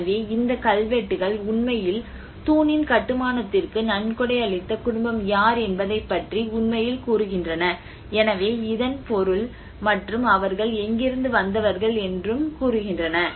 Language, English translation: Tamil, So, it says, these inscriptions are telling actually about who is the family who have donated to the construction the pillar, so which means and from where they belong to